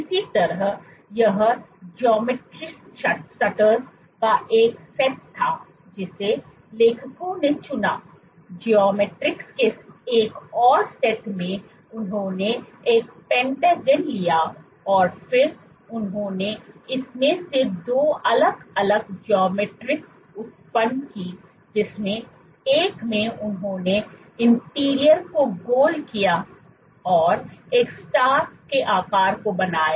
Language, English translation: Hindi, Similarly, this was one set of geometry stutters that the authors chose, in another set of geometries what they did was they took a pentagon and then they generated 2 different geometries from it one in which they rounded the interior to form a star shaped or there